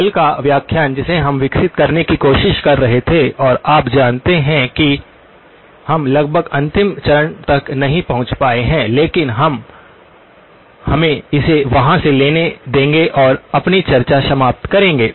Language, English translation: Hindi, Now, yesterday's lecture, the one that we were trying to develop and you know we could not reach almost the last step but we will let us just pick it up from there and conclude our discussion